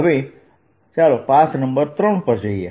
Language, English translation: Gujarati, now let's go for to path number three